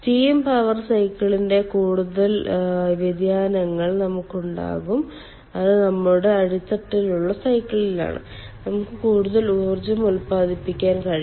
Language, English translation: Malayalam, we can have more variation of the steam power cycle, which is our bottoming cycle, and we can generate more power